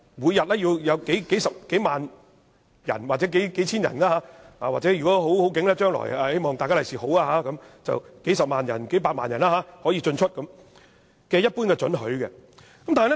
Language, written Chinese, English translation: Cantonese, 每天會有數千人或數萬人，如果將來好運的話，甚至是數十萬人或數百萬人進出禁區，他們均要給予一般准許。, Every day we will need to grant the general permission to several thousand or several 10 thousand people or if lucky enough to several hundred thousand or several million people for entering or leaving the closed area . There are provisions governing the granting of such permissions